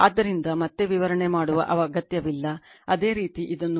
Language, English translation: Kannada, So, no need to explain again, similarly you can do it